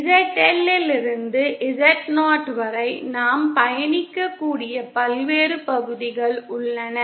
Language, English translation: Tamil, We can there are various parts we can travel from ZL to Z0